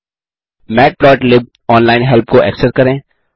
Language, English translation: Hindi, Access the matplotlib online help.Thank you